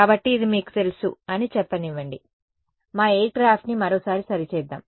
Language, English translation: Telugu, So, let us say that you know this is let us just make our aircraft once again ok